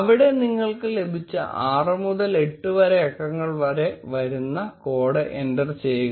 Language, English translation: Malayalam, Enter the code which you receive which will be a 6 to 8 digit number, and click on activate phone